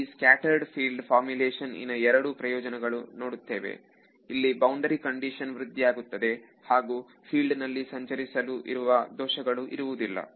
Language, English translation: Kannada, So, there are two strong advantages for scattered field formulation over here ok, you can improve the boundary condition and no errors in the field propagation